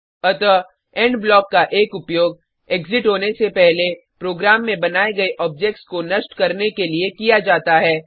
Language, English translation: Hindi, So, one use of END block is to destroy objects created in the program, before exiting